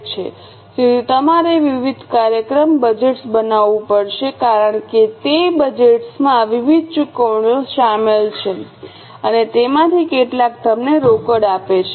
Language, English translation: Gujarati, So, you will have to make different functional budgets because those budgets involve various payments and some of them give you cash